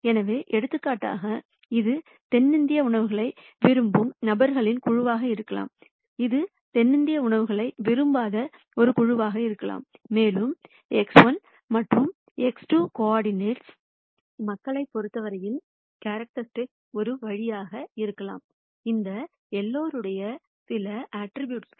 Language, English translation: Tamil, So, for example, this could be a group of people who like South Indian restaurants and this could be a group of people, who do not like South Indian restaurants, and the coordinates X 1 and X 2 could be some way of characterizing people in terms of some attributes of these folks